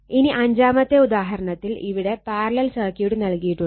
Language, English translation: Malayalam, So, example 5 in this case this parallel circuit is there